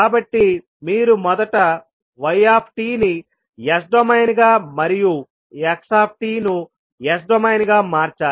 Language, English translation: Telugu, So you have to first convert y t into s domain and x t into s domain